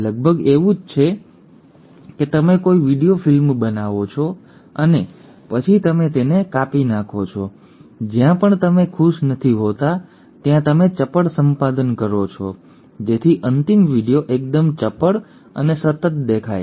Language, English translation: Gujarati, It is almost like you make a video film and then you kind of cut it wherever the regions you are not happy you do a crisp editing so that the final video looks absolutely crisp and continuous